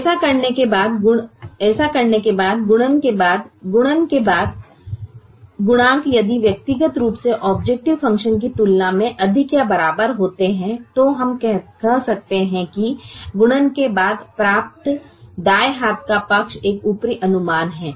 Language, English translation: Hindi, if the coefficients after multiplication are individually greater than or equal to that of the objective function, then we could say the right hand side obtained after the multiplication is an upper estimate